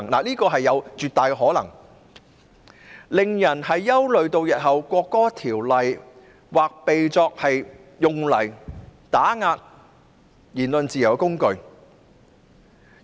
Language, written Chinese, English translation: Cantonese, 這是有絕大可能發生的，因而令人憂慮《條例草案》日後或會被用作打壓言論自由的工具。, This is absolutely likely to happen and has aroused concerns that the Bill may be used as a tool to suppress the freedom of speech in future